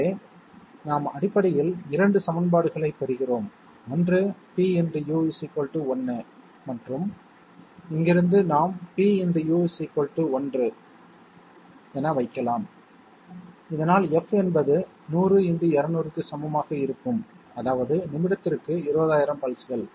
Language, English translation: Tamil, So we get essentially two equations, one is pU equal to 1 and from here we can put pU equal to one so that f will be equal to 100 into 200, which means 20,000 pulses per minute